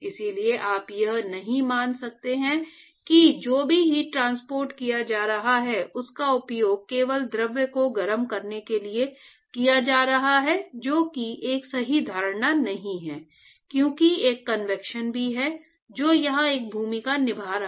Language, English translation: Hindi, So, you cannot assume that whatever the heat that is being transported is simply being used for heating of the fluid that is not a correct assumption because there is also a convection which is playing a role here